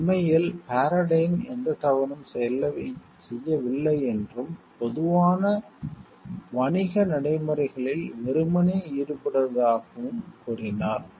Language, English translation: Tamil, Indeed, Paradyne asserted that it had nothing done wrong and was work simply engaging in common business practices